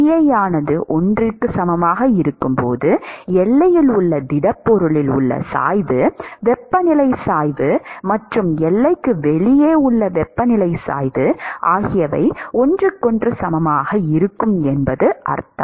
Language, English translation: Tamil, When Bi is equal to 1, it means that the gradient temperature gradient in the solid at the boundary and the temperature gradient outside the boundary will be equal to each other